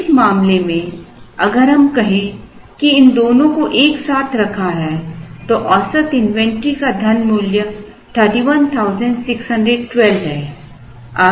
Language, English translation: Hindi, So, in this case if we say that these two put together the average, if money value of the average inventory is 31,612